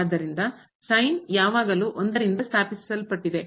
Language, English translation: Kannada, So, the is always founded by one